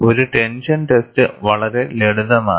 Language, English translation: Malayalam, A tension test is very simple